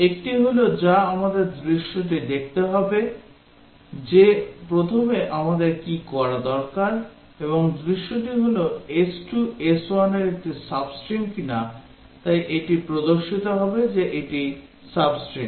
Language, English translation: Bengali, One is that we have to look at the scenarios that is the first thing we need to do and the scenario is that whether s2 is a sub string of s1, so it will display that it is sub a string